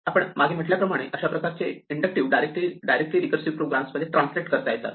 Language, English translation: Marathi, As before we can directly translate this into an inductive into a recursive program